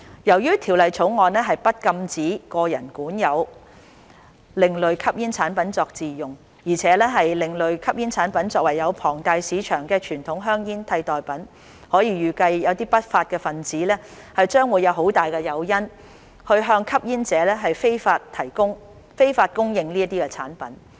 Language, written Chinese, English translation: Cantonese, 由於《條例草案》不禁止個人管有另類吸煙產品作自用，而且另類吸煙產品可作為有龐大市場的傳統香煙的替代品，可以預計不法分子將有很大誘因向吸煙者非法供應這些產品。, Since the Bill does not prohibit the possession of ASPs by individuals for self - use and ASPs can serve as substitutes for traditional cigarettes which have a large market it is expected that unlawful elements will have a strong incentive to supply these products to smokers illegally